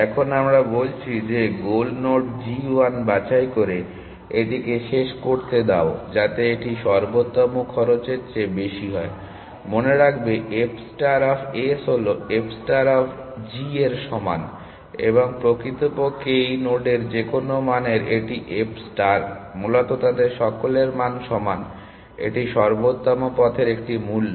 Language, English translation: Bengali, Now we are saying that let it terminate by picking the goal node g 1 such that it is cost is more than the optimal cost; remember f star of f star of s is equal to f star of g, and in fact, it f star of any value on this node essentially, all of them the values are the same, it is cost of the optimal it is a cost of this optimal path